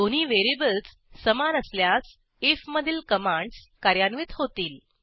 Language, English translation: Marathi, If the two variables are equal, then commands in if are executed